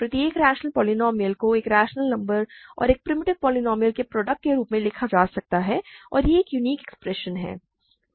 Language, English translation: Hindi, Every rational polynomial can be written as a product of a rational number and a primitive polynomial and it is a unique expression